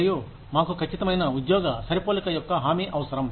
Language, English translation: Telugu, And, we need an assurance, of an accurate job match